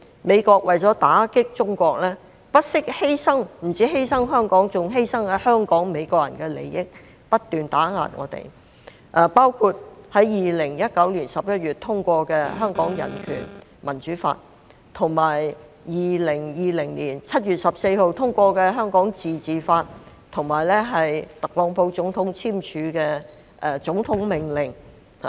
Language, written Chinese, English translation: Cantonese, 美國為了打擊中國，不單犧牲香港，還犧牲在香港的美國人的利益，不斷打壓我們，包括在2019年11月通過的《香港人權與民主法》、2020年7月14日通過的《香港自治法》，以及特朗普總統簽署的總統命令。, But in an attempt to strike a blow to China the United States has sacrificed the interests of the Americans here on top of those of Hong Kong . We have been subjected to its constant suppression including the Hong Kong Human Rights and Democracy Act passed in November 2019 the Hong Kong Autonomy Act passed on 14 July 2020 and the Presidents Executive Order signed by the then President TRUMP